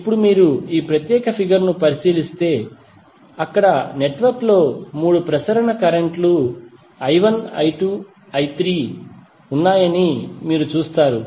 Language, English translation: Telugu, Now if you consider this particular figure, there you will see that network has 3 circulating currents that is I1, I2, and I3